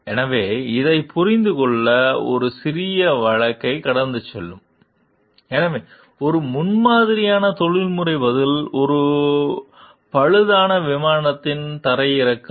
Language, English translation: Tamil, So, will go through a small case to understand this; so, An Exemplary Professional Response: Landing of a Disabled Plane